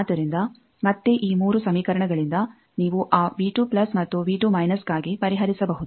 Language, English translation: Kannada, So, again from this 3 equations you can solve for those V 2 plus and V 2 minus